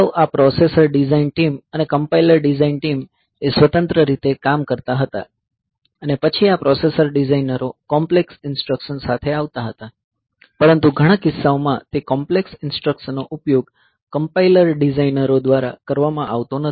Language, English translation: Gujarati, So, they used to work independently, and then this processor designers they used to come up with complex instructions, but in more many cases those complex instructions are not being used by the compiler designers